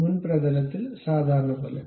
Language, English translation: Malayalam, On the front plane, normal to it